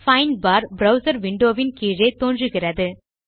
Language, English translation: Tamil, A Find bar appears at the bottom of the browser window